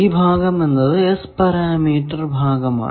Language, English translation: Malayalam, This, this part is the S parameter part, up to this